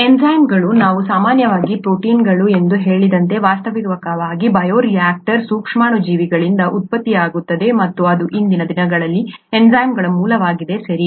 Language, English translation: Kannada, Enzymes, as we said usually proteins, are actually produced by microorganisms in bioreactors and that is pretty much a source of enzymes nowadays, okay